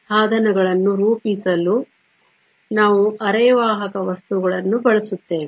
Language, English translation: Kannada, We will then use the semiconductor materials to form devices